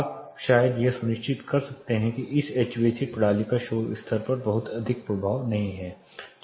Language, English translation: Hindi, You might probably then make sure or ensure that this HVAC system does not have much of the impact on the noise level